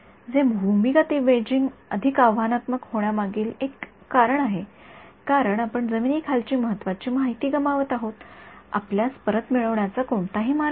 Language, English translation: Marathi, So, this is actually one of the reasons why this underground imaging is even more challenging because you are losing important information below the ground, there is no way for you to recover it right